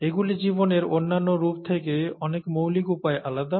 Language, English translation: Bengali, They are different in many fundamental ways from the other life forms